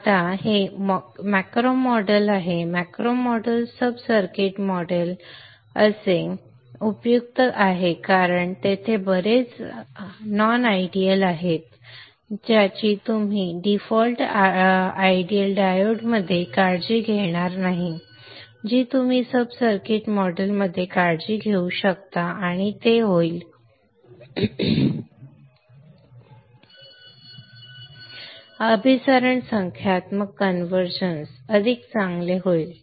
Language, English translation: Marathi, It is useful to have this macro model, sub circuit model because there are a lot of non idealities which will not take care in the default ideal diode which you can take care in the sub circuit model and it will the convergence, numerical convergence will be much better